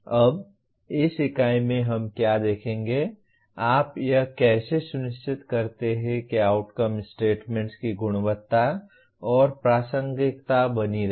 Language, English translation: Hindi, Now in this unit what we will look at is, how do you make sure that the quality and relevance of outcome statements is maintained